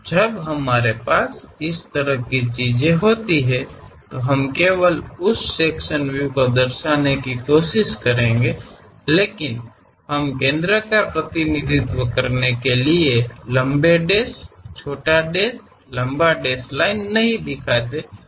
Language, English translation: Hindi, When we have such kind of thing, we will represent only that sectional view representation; but we we do not show, we do not show anything like long dash, short dash, long dash to represent center